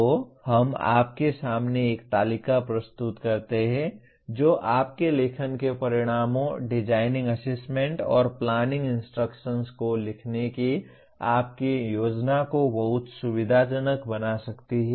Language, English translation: Hindi, So we present you a table that can greatly facilitate your planning of your writing the outcomes, designing assessment, and planning instruction